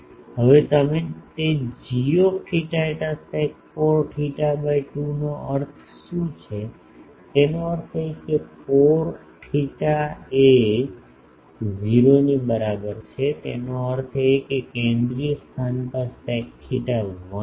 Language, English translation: Gujarati, Now, what do you mean by that g theta phi sec 4 theta by 2; that means, for theta is equal to 0; that means, at the central location the sec theta is 1